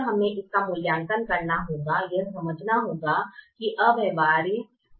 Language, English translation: Hindi, so we have to evaluate it and then understand that it is infeasible